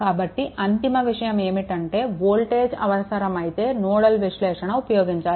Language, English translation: Telugu, So, ultimate thing is, if voltage are required, then you go for nodal analysis